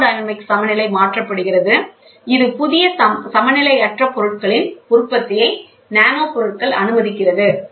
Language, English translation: Tamil, Thermodynamic phase equilibrium is shifted, this allows production of new non equilibrium materials nanomaterials allows it